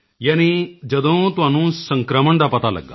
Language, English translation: Punjabi, You mean when you came to know of the infection